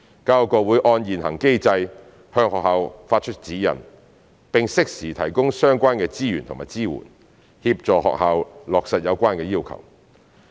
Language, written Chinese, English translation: Cantonese, 教育局會按現行機制，向學校發出指引，並適時提供相關資源和支援，協助學校落實有關要求。, The Secretary for Education will provide schools with guidelines according to the existing mechanism and offer relevant resources and support duly to help schools implement the related requirements